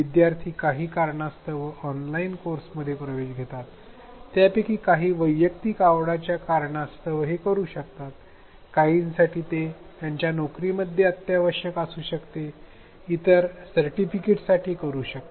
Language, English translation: Marathi, Students may enrol in an online course because of various reasons, some of them may do it out of personal interest, for some it may be required at their jobs and yet another, yet others may do it because of the certification